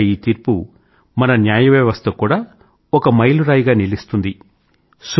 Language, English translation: Telugu, In the truest sense, this verdict has also proved to be a milestone for the judiciary in our country